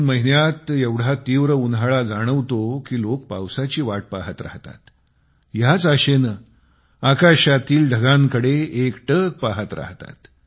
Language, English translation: Marathi, The month of June is so hot that people anxiously wait for the rains, gazing towards the sky for the clouds to appear